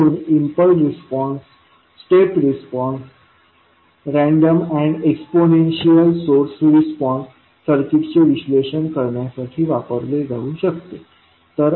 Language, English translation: Marathi, So, like impulse response, step response, ramp and exponential source response can be utilize for analyzing the circuit